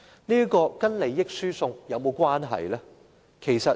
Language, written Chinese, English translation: Cantonese, 這與利益輸送有甚麼差別？, Such practice will be no different from the transfer of benefits